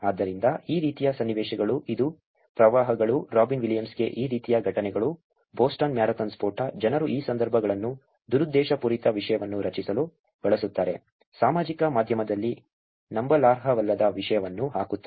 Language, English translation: Kannada, So, situations like these, which are floods, incidences like these to death to Robin Williams, Boston marathon blast, people use these situations to create malicious content, content that is not credible on social media